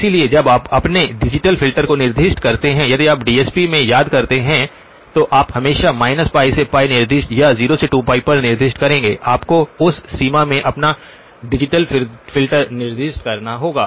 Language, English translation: Hindi, So when you specify your digital filter if you remember in DSP you will always specify from minus pi to pi or from 0 to 2pi, you would have to specify your digital filter in that range